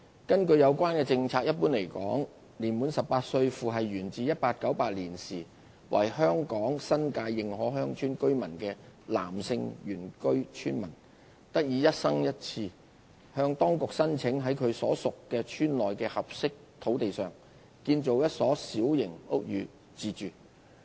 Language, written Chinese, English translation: Cantonese, 根據有關政策，一般來說，年滿18歲，父系源自1898年時為香港新界認可鄉村居民的男性原居村民，得以一生人一次向當局申請，在其所屬鄉村內的合適土地上建造一所小型屋宇自住。, Under the Policy in general a male indigenous villager aged 18 years old or above who is descended through the male line from a resident in 1898 of a recognized village in the New Territories may apply to the authority once during his lifetime for permission to build for himself a small house on a suitable site within his own village